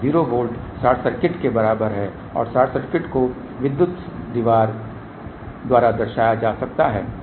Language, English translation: Hindi, 0 volt is equivalent to short circuit and short circuit can be represented by electric wall ok